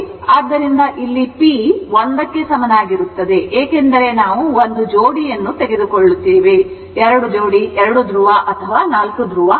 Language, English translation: Kannada, So, it is p is equal to 1 because we are taking of a pair, not 2, 2 pole or 4 pole